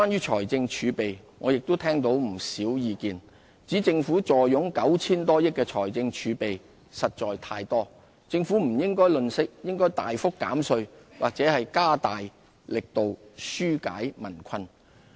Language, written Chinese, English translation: Cantonese, 財政儲備我也聽到不少意見，指政府坐擁 9,000 多億元的財政儲備實在太多，政府不應吝嗇，應大幅減稅或加大力度紓解民困。, It has also been suggested that the fiscal reserves of over 900 billion is just too much and instead of being miserly the Government should consider major tax cuts and step up its efforts to relieve peoples hardship